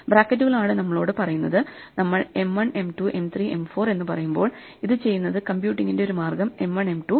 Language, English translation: Malayalam, Brackets are what tell us, so when we say M 1, M 2, M 3, M 4 then one way of computing it just to do this right do M 1, M 2, then M 3, M 4